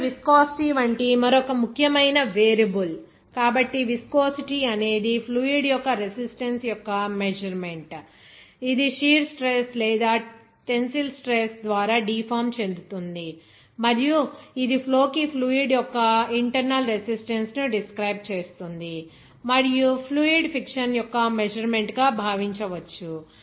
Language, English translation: Telugu, Now, another important variable like viscosity, so viscosity is a measure of the resistance of the fluid which is being deformed by either shear stress or tensile stress and It describes a fluid’s internal resistance to flow and may be thought of as a measure of fluid friction